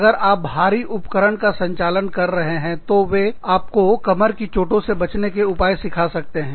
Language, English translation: Hindi, If you are handling heavy equipment, they could teach you, how to avoid injuries, to your back